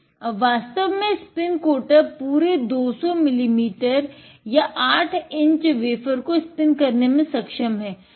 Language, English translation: Hindi, Now, the spin coater has the capability for actually being able to spin a full 200 millimeter or 8 inch wafer